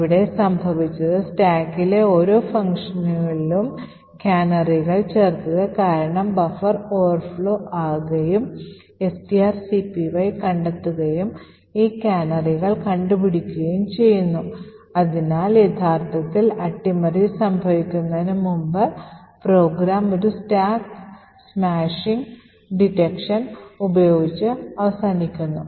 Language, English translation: Malayalam, So what has happened here is due to the addition of the canaries in each function in the stack the buffer overflows due to the string copy gets detected and caught by these canaries and therefore before subversion actually happens, the program terminates with a stack smashing detection